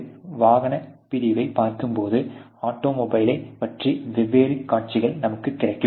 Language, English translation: Tamil, When we look into an automotive unit, we will have different views of the automobile